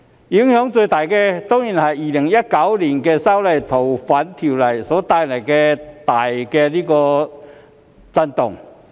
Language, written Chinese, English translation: Cantonese, 影響最大的，當然是2019年修訂《逃犯條例》所帶來的大震動。, The greatest impact is certainly caused by the upheaval resulting from the amendment of the Fugitive Offenders Ordinance in 2019